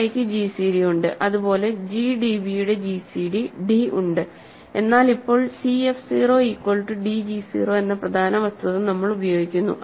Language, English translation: Malayalam, So, c i have gcd, similarly g d b is have gcd d, but we now use the important fact that c f 0 is equal to d g 0 that means, the set c a i is equal to the set d b i, right